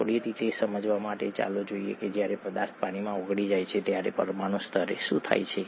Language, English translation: Gujarati, To understand that a little better let us, let us look at what happens at the molecular level when a substance dissolves in water